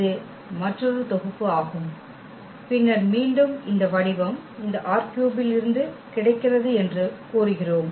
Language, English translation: Tamil, This is another set and then again we are claiming that this form is spending set of this R 3